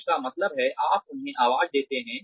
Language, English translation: Hindi, Which means, you give them a voice